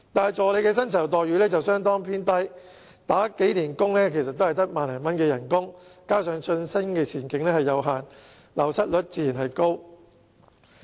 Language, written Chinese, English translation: Cantonese, 可是，助理的薪酬待遇卻相對偏低，即使工作多年，薪酬也只有1萬多元，加上晉升前景有限，流失率自然高。, However their pay and employment terms are relatively poor . Even though they have worked for many years their pay amounts to just some 10,000 . Coupled with limited prospect of advancement naturally the wastage rate is high